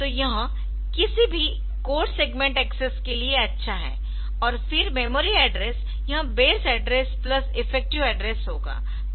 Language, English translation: Hindi, So, that is good for any code segment access and then the memory address will be this BA plus ea